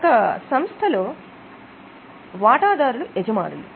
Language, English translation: Telugu, We have got shareholders as the owners